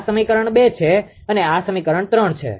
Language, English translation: Gujarati, This is equation 2 and this is equation 3